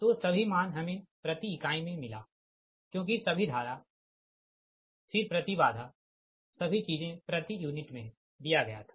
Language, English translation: Hindi, so all the values we got it in per unit right now, because all current then impedance everything it was given in per unit